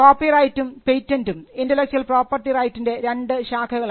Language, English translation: Malayalam, Copyright and patent are 2 branches of law under intellectual property rights